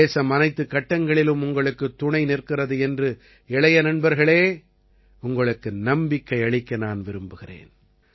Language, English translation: Tamil, I want to assure my young friends that the country is with you at every step